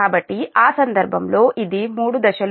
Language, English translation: Telugu, so in that case it is three phase